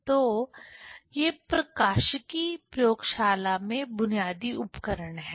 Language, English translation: Hindi, So, these are the basic instruments, tools in the optics lab